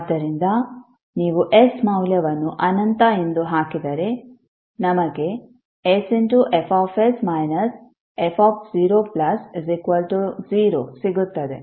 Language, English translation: Kannada, So if you put the value s as infinity this will become zero